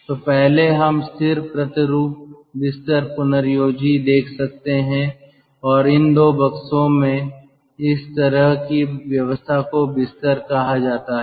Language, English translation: Hindi, so first we can see fixed twin bed regenerator and in these two box kind of arrangement are called bed